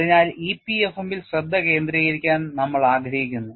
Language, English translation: Malayalam, So, this is what we want to keep that as a focus in EPFM